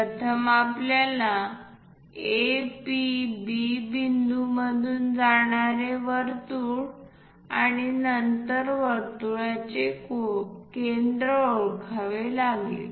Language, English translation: Marathi, First of all we have to identify a circle passing through A, P, B points and then centre of the circle